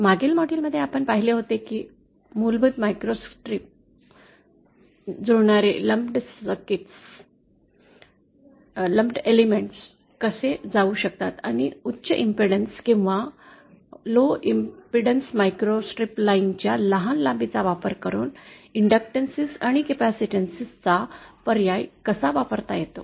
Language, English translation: Marathi, In the previous module we had saw how a basic microstrip, how basic matching lumped elements can be done and how using short lengths of high impedance or low impedance microstrip lines they can be used to substitute for inductances and capacitances